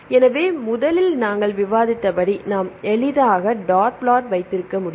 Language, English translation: Tamil, So, first, as we discussed we can have dot plot easily we can see